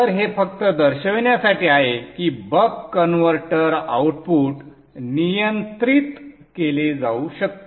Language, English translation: Marathi, So this is just to show that the buck converter output can be regulated